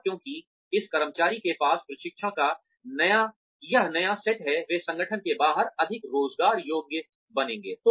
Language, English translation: Hindi, And, because this employee, has this new set of training, they will become more employable, outside the organization